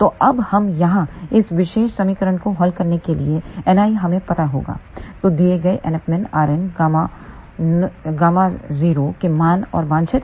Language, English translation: Hindi, So, now, we have to solve this particular equation here N i will be known so for a given value of NF min r n gamma 0 and desired NF i